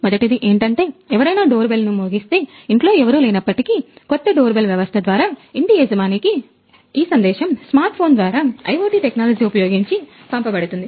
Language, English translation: Telugu, First one is if somebody clicks a doorbell even though the owner of the house is not present at house, our system can inform the owner on a smart phone through IoT technologies